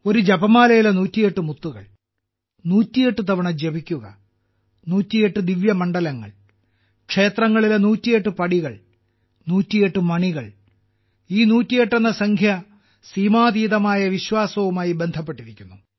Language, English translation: Malayalam, 108 beads in a rosary, chanting 108 times, 108 divine sites, 108 stairs in temples, 108 bells, this number 108 is associated with immense faith